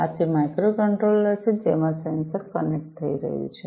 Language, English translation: Gujarati, So, this is this microcontroller to which the sensor is getting connected